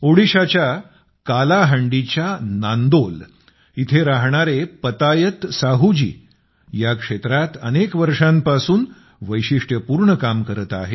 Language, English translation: Marathi, Patayat Sahu ji, who lives in Nandol, Kalahandi, Odisha, has been doing unique work in this area for years